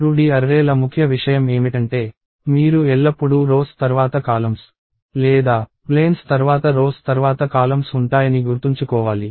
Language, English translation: Telugu, So, the key thing for 2D arrays is that, you have to remember always rows followed by columns or planes followed by rows followed by columns